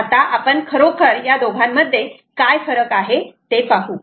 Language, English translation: Marathi, lets see what it, what really the differences are